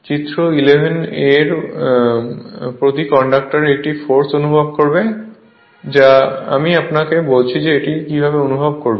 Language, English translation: Bengali, Each conductor in figure 11 will experience a force I told you how it will experience